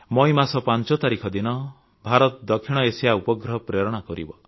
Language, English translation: Odia, On the 5th of May, India will launch the South Asia Satellite